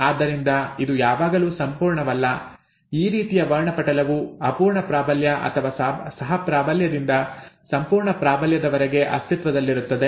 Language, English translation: Kannada, So this is not always absolute, a spectrum such as this exists from incomplete dominance or co dominance to complete dominance